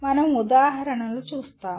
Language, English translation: Telugu, We will see examples